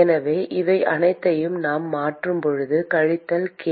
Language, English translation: Tamil, So, when we substitute all this minus k